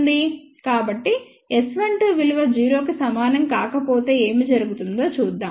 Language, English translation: Telugu, So, let us see what happens if S 12 is not equal to 0